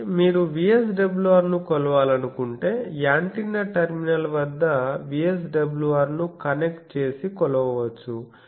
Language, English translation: Telugu, So, first step is you measure VSWR that you know that you can connect a thing and VSWR at the antenna terminal you measure